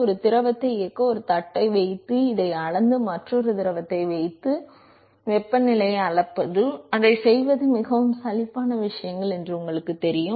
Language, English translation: Tamil, It is like you know keep a plate to put a fluid run it, measure this put a put a another fluid change the temperature measure it, the very boring things to do